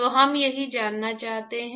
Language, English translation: Hindi, So, that is what we want to find